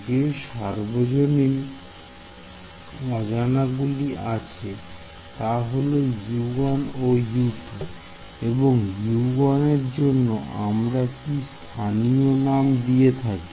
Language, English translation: Bengali, The global unknowns are U 1 and U 2 on this let us say and what is the local name that we will give for U 1 here